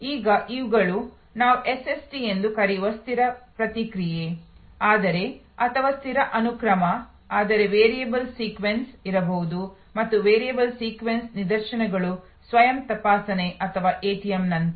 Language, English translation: Kannada, Now, these are instances of fixed response SST's as we call them, but or fixed sequence, but there can be variable sequence and variable sequence instances are like the self checking or ATM